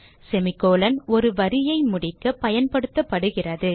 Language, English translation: Tamil, semi colon is used to terminate a line